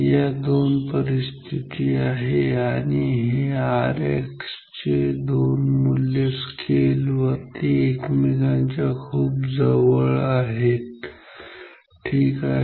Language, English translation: Marathi, The these two conditions so, this two values of R X will be very close to each other on this scale will be very close to each other on the scale ok